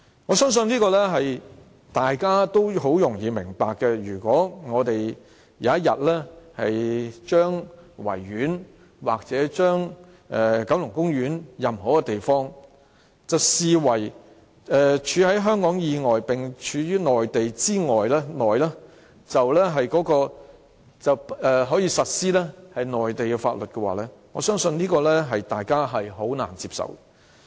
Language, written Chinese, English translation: Cantonese, 我相信這點大家也很容易明白，如果有天將維多利亞公園或九龍公園的任何一個地方視為"處於香港以外並處於內地以內"，這樣便可實施內地的法律，我相信大家是難以接受的。, I think Members can understand this point easily . If one day a part of the Victoria Park or the Kowloon Park is regarded as an area lying outside Hong Kong but lying within the Mainland where Mainland laws apply I believe Members would find it hardly acceptable